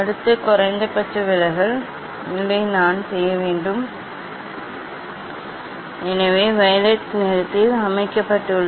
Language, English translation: Tamil, next minimum deviation position I have to, so this is set at the violet colour